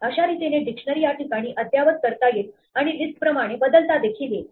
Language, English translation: Marathi, So, dictionaries can be updated in place and hence are mutable exactly like lists